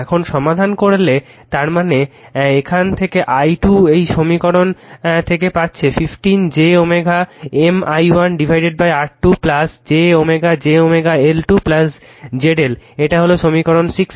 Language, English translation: Bengali, Now if you solve I mean from here i 2 you are getting from this equation 15 j omega M i 1 upon R 2 plus j omega j omega L 2 plus Z L, this is equation 16